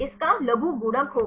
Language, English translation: Hindi, Logarithmic of this will be